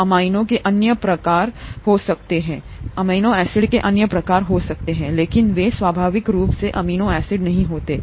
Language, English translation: Hindi, There could be other types of amino acids, but they are not naturally occurring amino acids